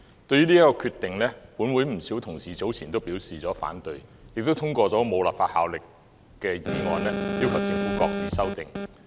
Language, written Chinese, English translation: Cantonese, 對於這個決定，本會不少同事早前均表示反對，亦通過了無法律效力的議案，要求政府擱置修訂。, Concerning this decision many Honourable colleagues in this Council have voiced their opposition some time ago and also passed a non - binding motion to request the Government to shelve the amendment